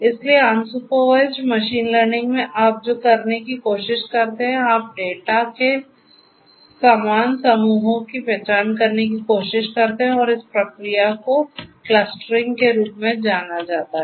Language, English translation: Hindi, So, in machine learning unsupervised machine learning what you try to do is you try to identify similar groups of data and this process is known as clustering